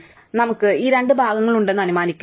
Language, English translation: Malayalam, So, let us assume that we have these two parts